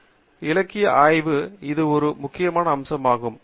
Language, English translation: Tamil, So, literature survey that way is a very important aspect